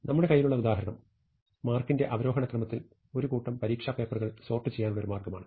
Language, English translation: Malayalam, And the example that we have in hand, is one way we are asked to sort a bunch of exam papers in descending order of marks